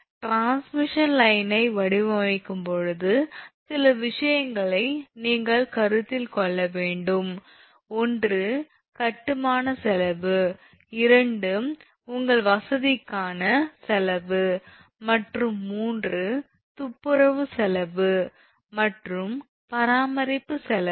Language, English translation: Tamil, When you are designing transmission line certain things you have to consider; one is cost of construction, two is cost of your easements and three, cost of clearing and cost of maintenance